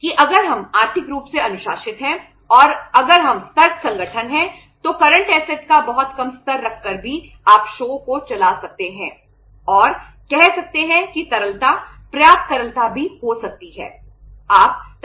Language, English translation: Hindi, That if we are financially disciplined and if we are vigilant organization then even by keeping a very low level of the current assets you can run the show and can say have the liquidity also, sufficient liquidity